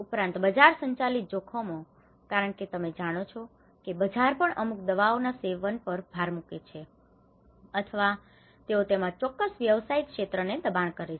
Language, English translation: Gujarati, Also, the market driven risk because you know the market also emphasizes on consumption of certain drugs or they push a certain business sectors into it